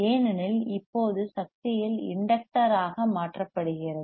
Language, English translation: Tamil, Because now the energy is converted into the inductor